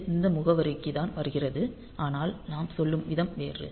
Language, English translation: Tamil, So, it comes to this address only, but the way we are telling it is different